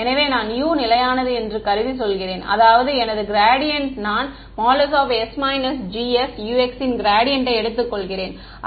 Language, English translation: Tamil, So, I am saying assuming U is constant; that means, my gradient I am taking the gradient of s minus G s U x; that means, U is constant